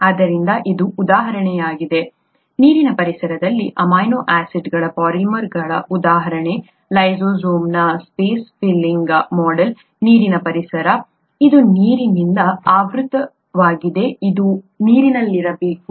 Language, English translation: Kannada, So this is the example, an example of a polymer of amino acids in a water environment, space filling model of lysozyme, water environment, this is surrounded with water, it has to be in water